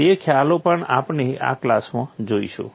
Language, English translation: Gujarati, Those concepts also we look at in this class